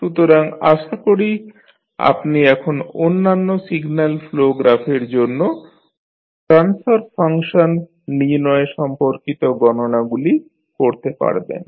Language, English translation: Bengali, So, I hope you can now do the calculations related to finding out the transfer function for other signal flow graphs